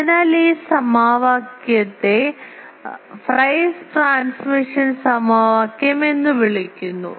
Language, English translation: Malayalam, So, this equation is called Friis transmission equation